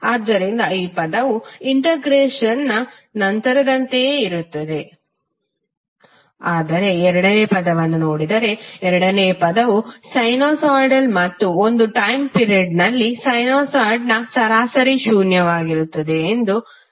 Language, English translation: Kannada, So this term will remain same as it is after integration but if you see the second term second term is sinusoid and as we know that the average of sinusoid over a time period is zero